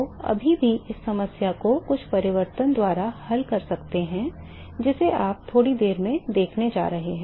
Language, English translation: Hindi, So, still you have you can still solve this problems by some transformation you going to see that in the short while